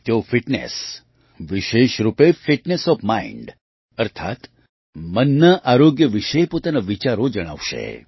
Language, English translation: Gujarati, He will share his views regarding Fitness, especially Fitness of the Mind, i